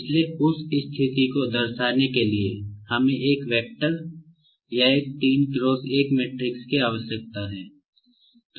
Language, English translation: Hindi, So, to represent the position we need one vector or one 3 cross 1 matrix